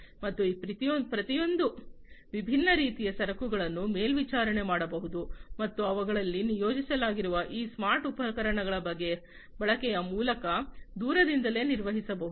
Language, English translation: Kannada, And each of these different types of cargoes can be monitored and can be maintained remotely through the use of these smart equipments that are deployed in them